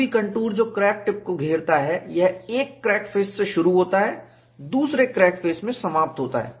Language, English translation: Hindi, Any contour, that encloses the crack tip, starts from one crack face, ends in the other crack, crack face; that is the only requirement